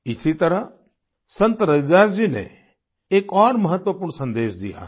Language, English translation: Hindi, In the same manner Sant Ravidas ji has given another important message